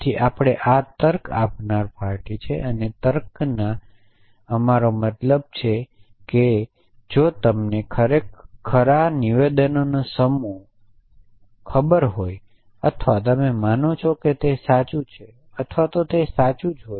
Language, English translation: Gujarati, So, this is the reasoning party and this is what we mean by reasoning in logic is that if you know certain set of statements to true or you assume that to be true or that given to be true